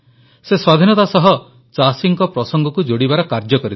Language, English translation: Odia, He endeavored to connect the issues of farmers with Independence